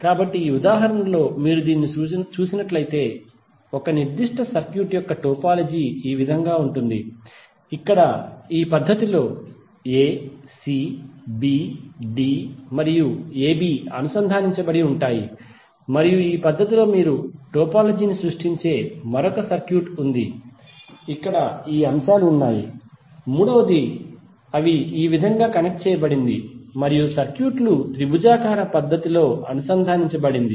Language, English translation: Telugu, So in this example if you see this the topology of one particular circuit is like this where a, c, b, d and a b are connected in this fashion and there is another circuit where you create the topology in this fashion where these elements are connected like this and third one where the circuits are connected in a triangular fashion